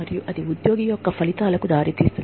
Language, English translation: Telugu, And, that leads to employee outcomes